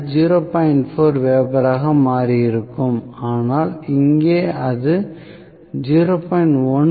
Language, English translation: Tamil, 1 weber it would have become 0